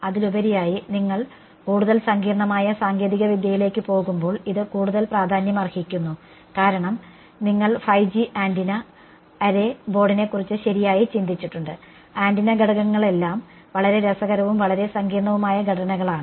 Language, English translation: Malayalam, And more so, as you go towards more sophisticated technology this becomes more important because you have think of 5G antenna array board right, the antenna elements are all very interesting, very complicated structures